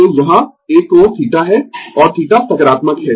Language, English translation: Hindi, So, here an angle is theta, and theta is positive